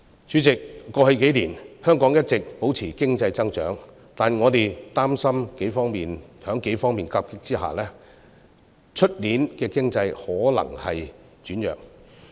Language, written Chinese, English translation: Cantonese, 主席，過去數年，香港一直保持經濟增長，但我們擔心在數方面的夾擊之下，明年的經濟可能會轉弱。, President we have enjoyed sustained economic growth for the past few years . However in the face of a number of negative factors we are worried that the economy may weaken next year